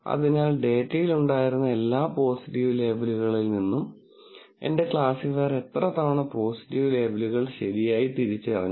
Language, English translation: Malayalam, So, what we are wanting is, of all the positive labels that were in the data, how many times did my classifier correctly identify positive labels